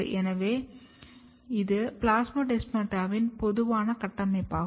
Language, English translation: Tamil, So, this is a typical structure of plasmodesmata